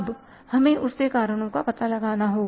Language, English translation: Hindi, Now we have to find out the reasons for that